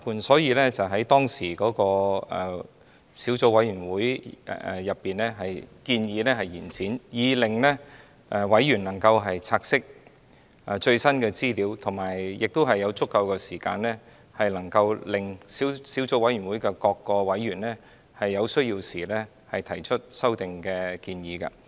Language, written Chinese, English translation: Cantonese, 所以，當時小組委員會建議延展決議案，讓委員能夠察悉最新的資料，並且有足夠時間，令小組委員會各委員在有需要時提出修訂建議。, Therefore the Subcommittee at that time suggested moving an extension resolution to allow its members to study the latest information and have sufficient time to raise amendment proposals when necessary